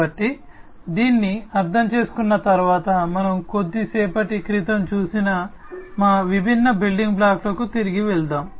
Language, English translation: Telugu, So, having understood this let us now go back to our different building blocks that we have seen in the little while back